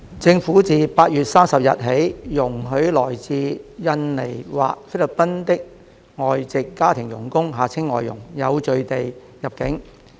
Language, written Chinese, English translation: Cantonese, 政府自8月30日起容許來自印尼或菲律賓的外籍家庭傭工有序地入境。, The Government has since 30 August allowed foreign domestic helpers FDHs from Indonesia or the Philippines to enter Hong Kong in an orderly manner